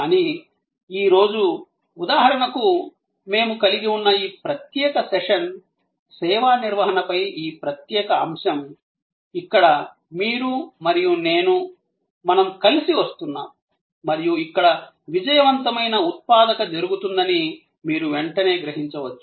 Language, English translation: Telugu, But, today take for example, this particular session, which we are having, this particular topic on service management, where you and I, we are coming together and you can immediately perceived that here a successful productive engagement will happen